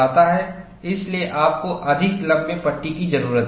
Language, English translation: Hindi, So, you need to have a panel longer than that